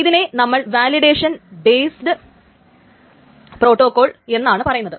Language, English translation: Malayalam, So, this is called the validation or certification based protocol